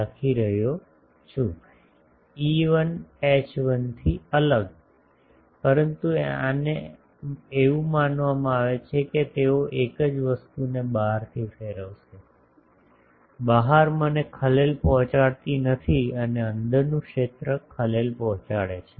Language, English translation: Gujarati, A different from E1 H1, but these are taken to be such that they will radiate the same thing in the outside, outside I am not disturbing and inside field is getting disturbed